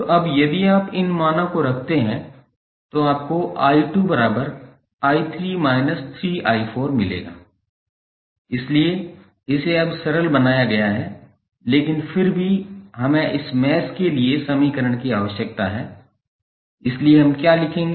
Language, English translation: Hindi, So, now if you put these value here you will get i 2 is nothing but i 3 minus 3i 4, so it is simplified now but still we need the equation for this mesh, so what we will write